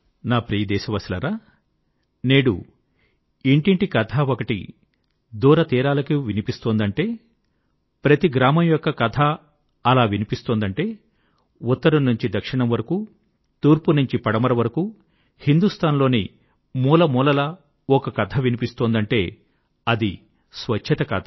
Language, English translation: Telugu, My dear countrymen, today, if one story that rings from home to home, and rings far and wide,is heard from north to south, east to west and from every corner of India, then that IS the story of cleanliness and sanitation